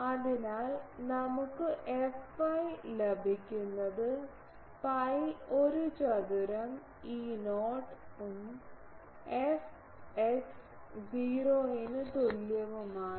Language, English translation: Malayalam, So, we get f y will be pi a square E not and f x is equal to 0